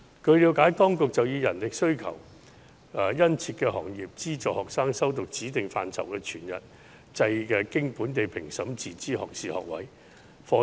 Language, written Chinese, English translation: Cantonese, 據了解，當局已按人力需求殷切的行業，資助學生修讀指定範疇的全日制經本地評審的自資學士學位課程。, It has been learnt that the authorities have in the light of industries with keen manpower demands subsidized students to take full - time self - financing locally accredited degree programmes on specified subjects